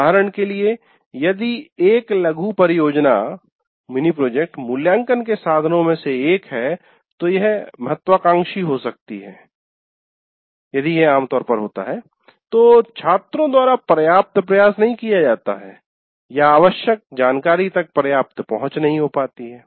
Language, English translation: Hindi, For example, if a mini project constitutes one of the assessment instruments, it may have been ambitious, generally happens, not enough effort was put in by the students, or access to the required information was not adequate